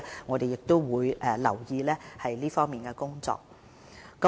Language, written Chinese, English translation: Cantonese, 我們會注意這方面工作的進展。, We will track the progress of the relevant work